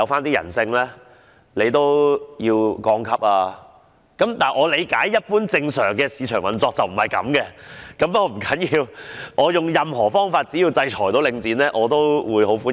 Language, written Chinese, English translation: Cantonese, 不過，據我理解，一般正常的市場運作並非如此，但這並不重要，要點是我會用任何方法，只要能制裁領展的，我都會歡迎。, However as far as I know this is not considered normal market operation . But this is irrelevant . What is relevant is that I will exhaust all means and I will welcome any measure as far as it can sanction Link REIT